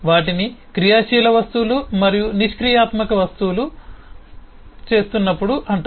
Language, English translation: Telugu, they are called active objects and passive objects